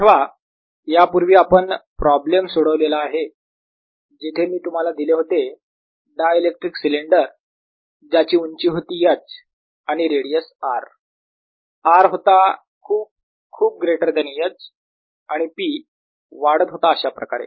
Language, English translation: Marathi, remember, earlier we had solved a problem where i had given you a dielectric cylinder with height h, radius r, r, much, much, much better than h and p going up